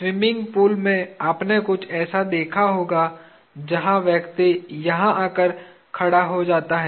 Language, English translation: Hindi, You would have seen something like this in a swimming pool, where the person goes over here and stands